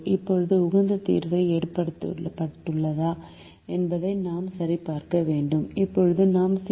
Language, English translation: Tamil, now we need to check whether the optimum solution has been reached